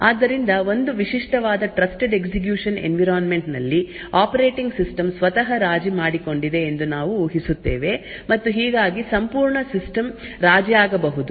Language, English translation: Kannada, So, in a typical Trusted Execution Environment we assume that the operating system itself is compromised and thus the entire system may be compromised